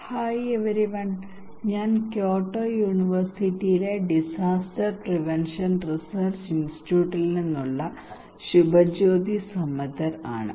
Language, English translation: Malayalam, Hi everyone, I am Subhajyoti Samaddar from Disaster Prevention Research Institute, Kyoto University